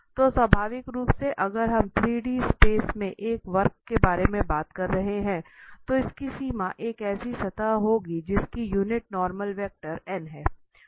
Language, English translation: Hindi, So naturally if we are talking about a curve in 3D space, its boundary will be a surface whose unit normal vector is n